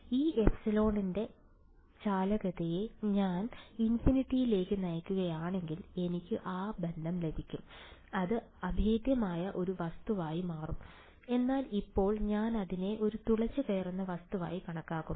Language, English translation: Malayalam, If I make the conductivity part of this epsilon tending to infinity I will get that relation that will become a impenetrable object but right now, I am taking it to be a penetrable object